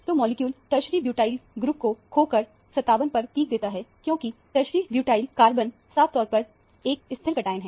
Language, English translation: Hindi, So, the molecule loses tertiary butyl groups to give a peak at 57, because tertiary butyl cation is a fairly stable cation